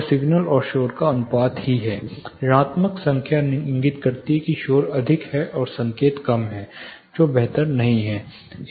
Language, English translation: Hindi, See essentially it is signalled noise ratio, 0 or minus negative number indicates the noise is more signal is less, which is not preferable